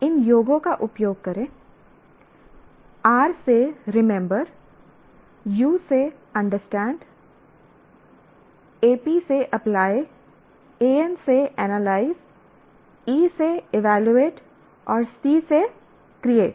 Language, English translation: Hindi, Use these acronyms, R for remember, U for understand, AP for apply, A n for analyze, E for evaluate and C for create